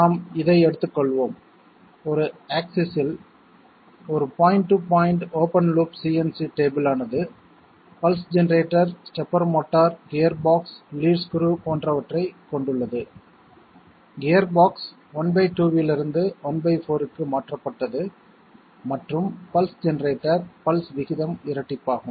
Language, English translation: Tamil, Let us have this one, in the X axis of a point to point open loop CNC table employing pulse generator stepper motor gearbox lead screw; the gearbox which is changed from half to one fourth and the pulse generator pulse rate is doubled